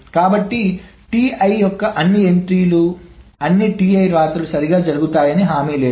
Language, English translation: Telugu, So, TI, it is not guaranteed that all the entries, all the rights of TI is being done correctly